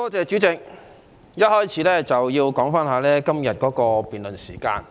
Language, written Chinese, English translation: Cantonese, 主席，首先要談談今天的辯論時間。, Chairman I would like to first talk about the debating time today